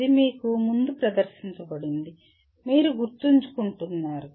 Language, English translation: Telugu, It is presented to you earlier, you are remembering